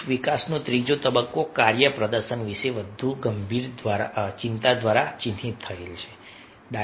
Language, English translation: Gujarati, the third stage of group development is marked by a more serious concern about task performance